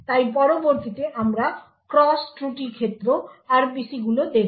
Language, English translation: Bengali, So next we will look at the cross fault domain RPCs